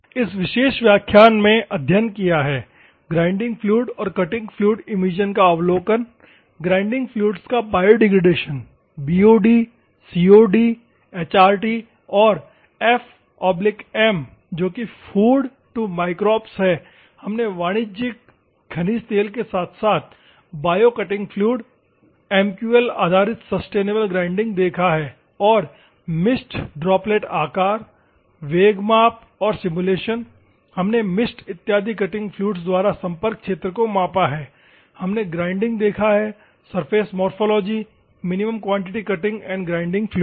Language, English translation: Hindi, This is we have studied in this particular class and overview of grinding and cutting fluid emissions, Biodegradation of Grinding fluids, BOD, COD, HRT, and f by m ratio that is food to microbes ratio and other things, we have done for the commercial mineral oil as well as bio cutting fluid, MQL based sustainable grinding, we have seen and mist droplet size velocity measurements and simulations, we have measured the contact area by the cutting fluid in the form of mist and other things, we have seen and grinding surface morphology in minimum quantity cutting fluid and grinding